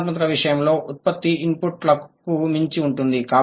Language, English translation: Telugu, In case of creativity, the production is beyond the input